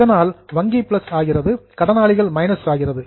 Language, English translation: Tamil, So, minus in bank and minus in creditors